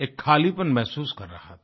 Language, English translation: Hindi, I was undergoing a bout of emptiness